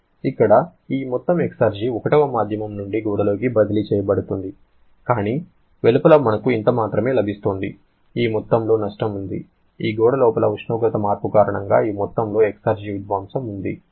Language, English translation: Telugu, Here, this amount of exergy is being transferred from medium 1 into the wall but outside we get only this much, there is this amount of loss, this amount of exergy destruction because of the temperature change inside this wall